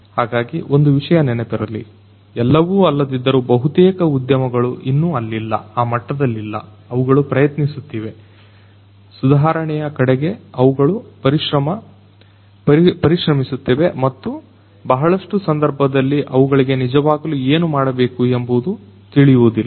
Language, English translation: Kannada, So, remember one thing that none of not none, but in most of the cases these industries are not there yet they are trying to; they are striving towards improvement and they do not really always understand what they will have to do